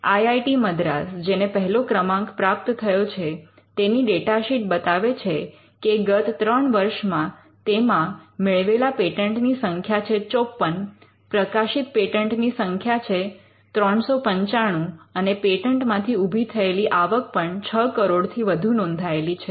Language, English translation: Gujarati, For instance, IIT Madras which has been ranked 1, the data sheet shows that the number of patents granted is 54 in the last 3 calendar years and the number of published patents is 395 and the earnings through patent is also mentioned that in excess of 6 crores